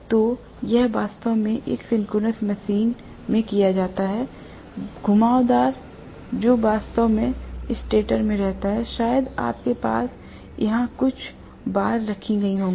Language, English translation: Hindi, So, it is really done in a synchronous machine, the winding what is actually residing in the stator, maybe you will have a few bar kept here